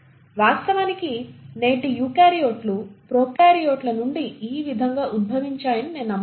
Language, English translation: Telugu, Thus we believe that today’s eukaryotes have actually evolved from the prokaryotes